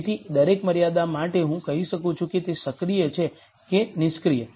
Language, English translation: Gujarati, So, for every constraint I can say whether it is active or inactive